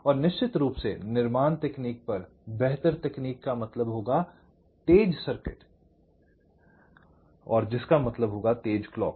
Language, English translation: Hindi, better technology will mean faster circuit, which will mean faster clock